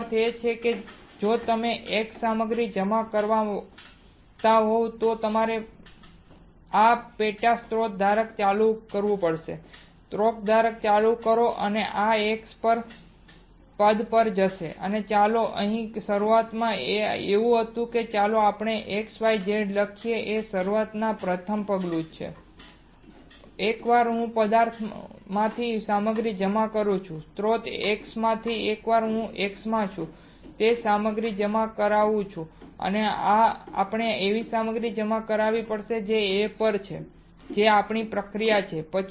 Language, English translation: Gujarati, That means if you are done depositing X material then you have to turn this sub source holder turn the source holder right and this X will go to this position, let us say initially it was like this let us write X Y Z A alright initially first step, now once I am done by of depositing materials from substance, from the source X once I am done depositing the material which is in X we have to deposit a material which is on A alright that is our process